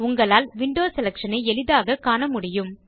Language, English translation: Tamil, You can see window selection easily